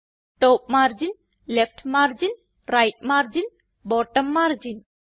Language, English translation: Malayalam, Top margin, Left margin, Right margin and Bottom margin